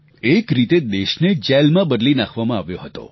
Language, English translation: Gujarati, The country had virtually become a prison